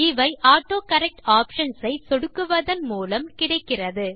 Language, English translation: Tamil, These options are selected by clicking on the AutoCorrect Options